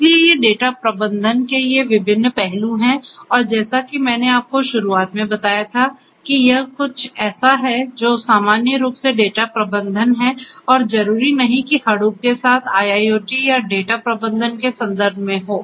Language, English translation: Hindi, So, these are these different aspects of data management and as I told you at the outset that, this is something that what is data management in general and not necessarily in the context of IIoT or data management with Hadoop